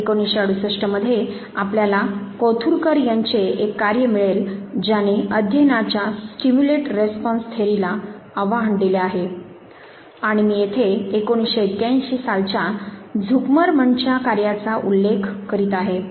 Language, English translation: Marathi, In 1968 you will find Kothurkar's work which challenged the stimulate response theory of learning and I am referring to Zuckerman's work in 1981